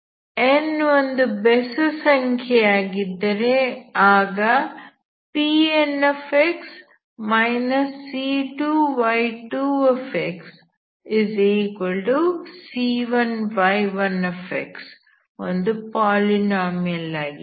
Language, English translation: Kannada, Similarly when n is odd P n minus C2 y2 is a polynomial